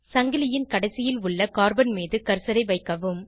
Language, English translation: Tamil, Place the cursor on the carbon present at one end of the chain